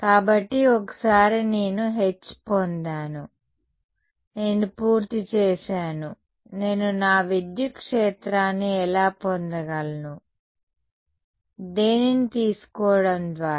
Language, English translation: Telugu, So, once I have got H, I am done I can get my electric field how; by taking